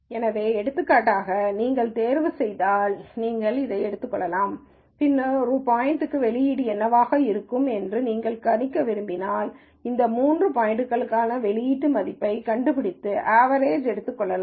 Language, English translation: Tamil, So, for example, if you so choose to, you could take this and then let us say if you want to predict what an output will be for a new point, you could find the output value for these three points and take an average